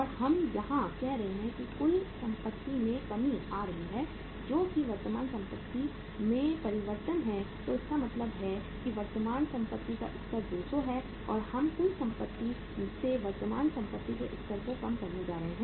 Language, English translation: Hindi, And we are saying here that the total assets are coming down that is change in the current assets so it means the 200 level of the current assets and we are going to reduce the level of current assets from the total assets